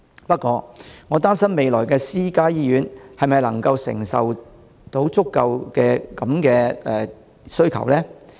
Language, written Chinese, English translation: Cantonese, 不過，我擔心未來私家醫院是否能夠承受這種需求呢？, However I am worried whether private hospitals can cope with such demand in the future